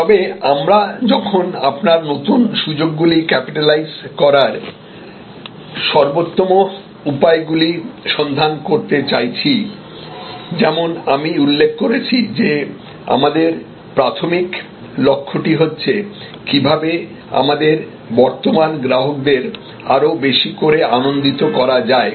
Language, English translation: Bengali, But, while we want to find the best ways to capitalize your new opportunities, as I mentioned our primary aim should be how to delight our current customers more and more